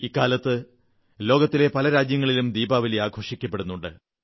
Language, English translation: Malayalam, These days Diwali is celebrated across many countries